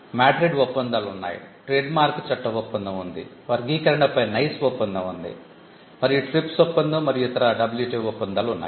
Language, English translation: Telugu, And you have the MADRID treaties; you have the trademark law treaty; you have the NICE agreement on classification and again you have the TRIPS and the WTO